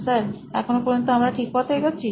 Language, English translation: Bengali, Sir are we on the right track till now